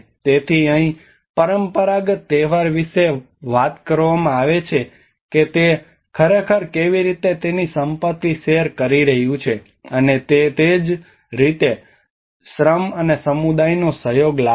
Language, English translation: Gujarati, So here even the traditional feast it is talking about how it actually one is sharing his wealth, and that is how brings the labour and the communityís cooperation